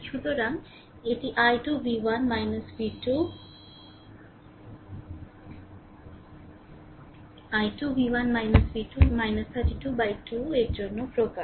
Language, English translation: Bengali, So, this is expression for i 2 v 1 minus v 2 minus 32 by 2 right